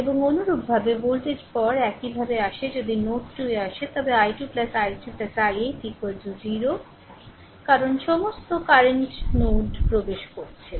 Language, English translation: Bengali, And similarly voltage will come later similarly if you come to node 2, then i 2 plus i 3 plus 8 is equal to 0 because all current are entering into the node